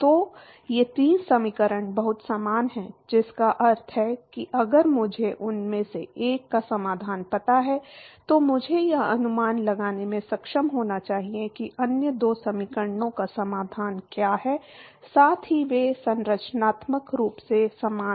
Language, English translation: Hindi, So, these three equations are very similar, which means that if I know the solution of one of them I should be able to guess what the solution of the other two equations are, plus they are structurally similar